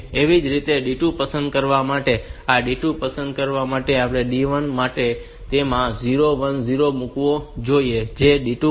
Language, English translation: Gujarati, Similarly, for selecting D2, this is for D1 for selecting D2, it should put 0 1 that is for D2